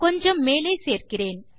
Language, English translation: Tamil, So I will just add something more